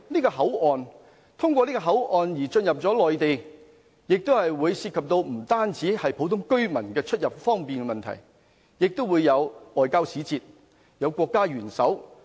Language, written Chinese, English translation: Cantonese, 乘客通過這個口岸進入內地，不單涉及普通居民出入方便的問題，亦會有外交使節、國家元首。, When passengers enter the Mainland through the port area we have to deal with not only the convenience of normal residents but also the visits of diplomatic envoys and heads of state